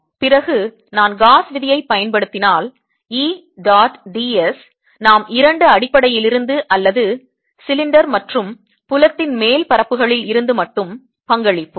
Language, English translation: Tamil, all right, then if i apply the gauss's law, e, dot, d, s, we contribute only from the two base or the upper surfaces of the cylinder and field inside e